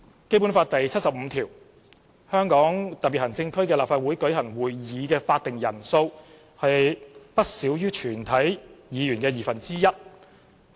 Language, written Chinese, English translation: Cantonese, 《基本法》第七十五條訂明：香港特別行政區立法會舉行會議的法定人數為不少於全體議員的二分之一。, Article 75 of the Basic Law provides that the quorum for the meeting of the Legislative Council of the Hong Kong Special Administrative Region shall be not less than one half of all its members